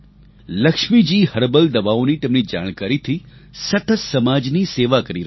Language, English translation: Gujarati, Lakshmi Ji is continuously serving society with her knowledge of herbal medicines